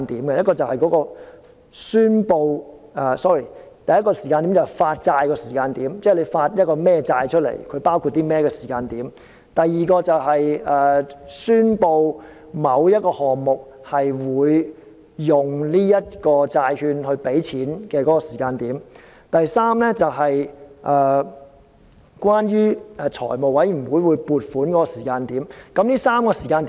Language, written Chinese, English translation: Cantonese, 第一個時間點是發債的時間，即公布發行甚麼債券和內容包括甚麼的時間。第二個時間點是宣布某一項目會用這些債券支付開支的時間。第三是財務委員會撥款的時間點。, First the time of the issuance of bonds and in other words the time when an announcement is made on what kind of bonds will be issued and what details will be included; second the time when it is announced that the bonds will be used to meet the expenditure of a certain project and third the time when funding is approved by the Finance Committee